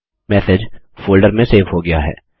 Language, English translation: Hindi, The message is saved in the folder